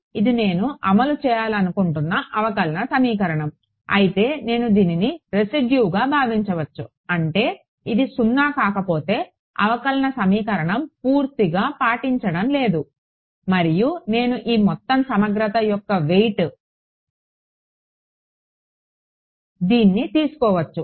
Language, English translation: Telugu, So, this is the differential equation I want to enforce, so this is I can give view this as a residual if this is non zero; that means, the differential equation is not being fully obeyed correct, and I can view this as a weight for this overall integral